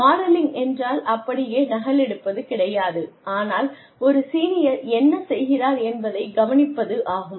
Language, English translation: Tamil, Modelling is not exactly copying, but doing things, as a senior person, who has been doing them, does